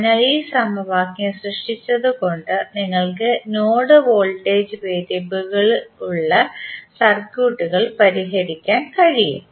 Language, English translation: Malayalam, So, with this equation creation you can solve the circuits which are having node voltages, which are having node voltages as a variable